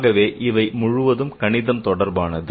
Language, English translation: Tamil, Now that's the mathematics